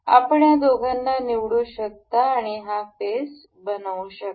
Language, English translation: Marathi, You can select these two and say this face